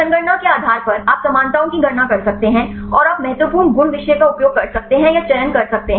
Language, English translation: Hindi, Based on the computationly you can calculate the similarities, and you can select or you can use the important properties subjectivity